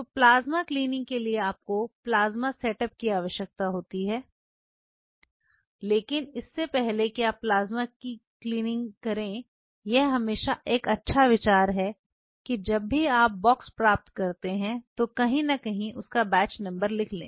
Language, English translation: Hindi, So, plasma cleaning you needed a plasma setup, but even before you do plasma cleaning it is always a good idea whenever you receive the box get the batch number written somewhere